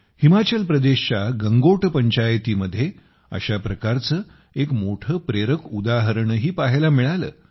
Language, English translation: Marathi, In the midst of all this, a great inspirational example was also seen at the Gangot Panchayat of Himachal Pradesh